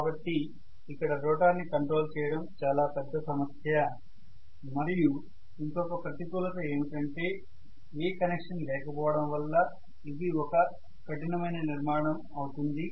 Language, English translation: Telugu, So I have a problem of major control of this rotor but it is also having another disadvantage because there is no connection it is one rugged structure